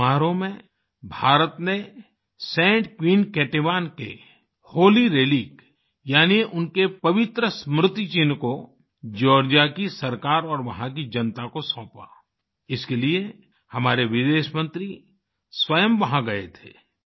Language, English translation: Hindi, In this ceremony, India handed over the Holy Relic or icon of Saint Queen Ketevan to the Government of Georgia and the people there, for this mission our Foreign Minister himself went there